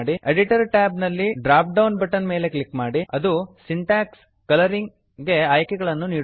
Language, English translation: Kannada, In the Editor tab, click on the dropdown button which gives options for Syntax Colouring